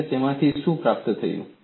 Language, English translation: Gujarati, And what I have achieved out of it